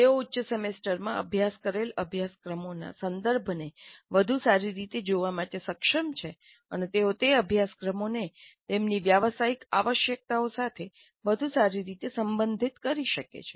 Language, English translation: Gujarati, They're able to better see the context of the course studied higher semesters and they are able to relate those courses to their professional requirements in a better fashion